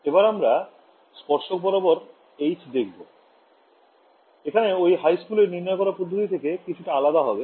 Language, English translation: Bengali, So, now, let us look at the H tan, here is where the derivation differs a little bit from your high school derivation